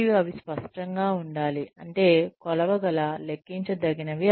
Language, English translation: Telugu, And, they should be tangible, which means measurable, quantifiable